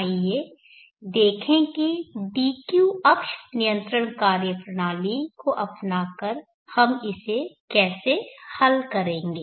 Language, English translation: Hindi, Let us see how we will solve this by adopting the dq access control methodology